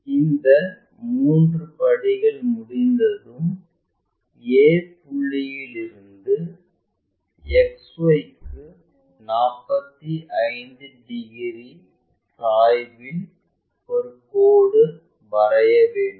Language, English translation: Tamil, Once these three steps are done we will draw a line 45 degrees incline to XY from a point a